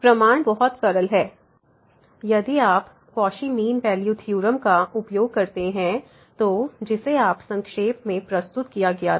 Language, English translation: Hindi, So, the proof is pretty simple if we use the if you use the Cauchy mean value theorem so, which was summarize today